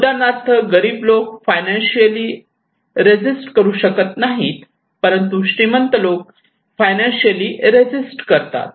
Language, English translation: Marathi, Like poor people, they cannot resist financially, but maybe rich people can resist